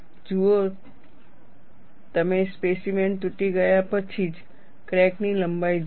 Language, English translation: Gujarati, See, you see the crack length, only after the specimen is broken